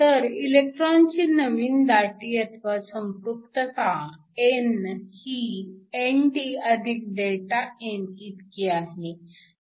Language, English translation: Marathi, So, your new electron concentration n is nothing but ND + Δn which works out to be 1